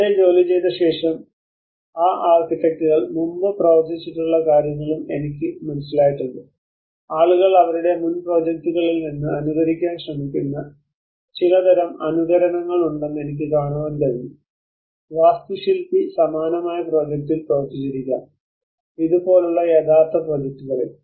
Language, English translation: Malayalam, Having worked there, I also have an understanding what those architects have previously worked I can see that there is some kind of imitations which people trying to imitate from their previous projects may be the architect have worked on a similar project which is the real project